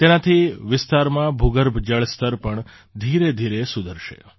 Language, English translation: Gujarati, This will gradually improve the ground water level in the area